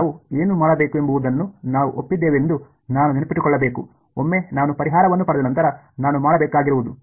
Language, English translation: Kannada, I have to remember we had agreed on what we will do, once I have got the solution all that I have to do is